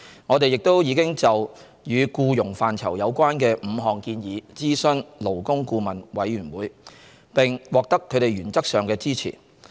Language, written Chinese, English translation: Cantonese, 我們亦已就與僱傭範疇有關的5項建議諮詢勞工顧問委員會，並獲得他們原則上的支持。, We have also consulted the Labour Advisory Board LAB on five employment - related recommendations; LAB in principle supported the Government to take forward those recommendations